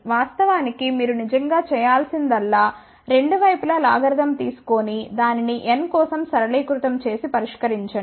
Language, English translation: Telugu, In fact, all you have to really do it is take logarithm on both the sides and simplify and solve it for n